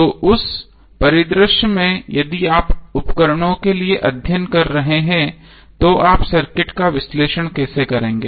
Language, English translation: Hindi, So in that scenario if you are doing the study for appliances, how you will analyze the circuit